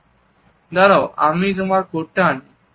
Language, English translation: Bengali, Let me get my coat